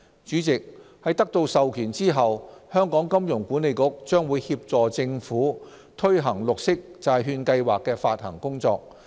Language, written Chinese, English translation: Cantonese, 主席，在得到授權後，香港金融管理局將協助政府推行綠色債券計劃的發行工作。, President subject to authorization the Hong Kong Monetary Authority will assist the Government in implementing bond issuance under the Programme